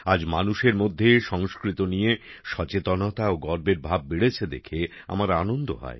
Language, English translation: Bengali, I am happy that today awareness and pride in Sanskrit has increased among people